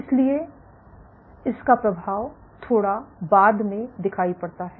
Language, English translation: Hindi, So, it is affect start to manifest slightly later